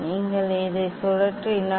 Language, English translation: Tamil, if you rotate this one